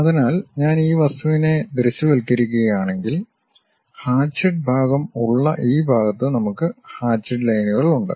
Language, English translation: Malayalam, So, if I am visualizing this object, this part where the hatched portion is there we have that hatched lines